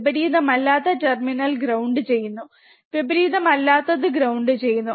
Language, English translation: Malayalam, And non inverting terminal is grounded, non inverting is grounded right